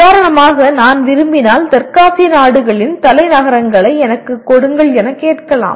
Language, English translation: Tamil, For example if I want to call give me the capitals of all the South Asian countries